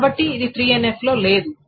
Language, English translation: Telugu, This is not in 3NF